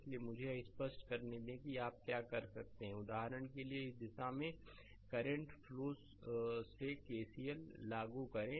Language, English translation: Hindi, Therefore, let me let me clear it therefore, what you can do is you apply KCL for example, current flowing through this say in this direction